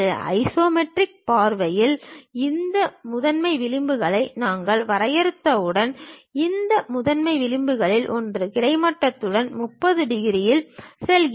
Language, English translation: Tamil, In the isometric view, once we define these principal edges; one of these principal edges makes 30 degrees with the horizontal